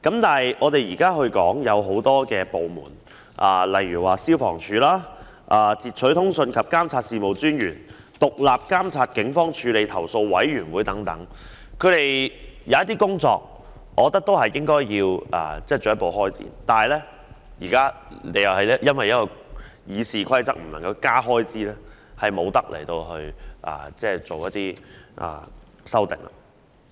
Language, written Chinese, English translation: Cantonese, 對於很多政府部門或機構，例如消防處、截取通訊及監察事務專員、獨立監察警方處理投訴委員會等，我認為它們有些工作應該進一步開展，但現在亦因《議事規則》規定而令議員無法提出增加開支。, Regarding many government departments or organizations such as FSD the Commissioner on Interception of Communications and Surveillance SCIOCS and the Independent Police Complaints Council IPCC I consider that some of their work should develop further but Members cannot propose any increase in expenditure due to the restriction of RoP